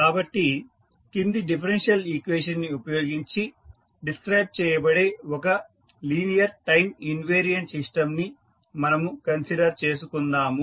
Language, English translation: Telugu, So, let us consider one linear time invariant system which is described by the following differential equation